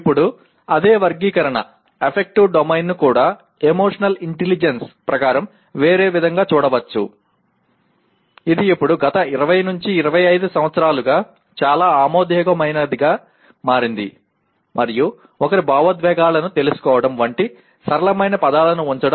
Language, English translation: Telugu, also be looked at in a different way as per emotional intelligence which is now for the last 20 25 years it has become quite accepted ones and putting in simpler words like knowing one’s emotions